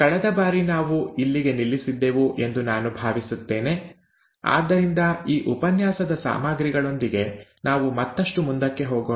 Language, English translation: Kannada, I think this is where we stopped last time, so let us go further with the lecture material of this lecture